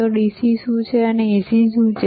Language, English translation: Gujarati, So, what is DC and what is AC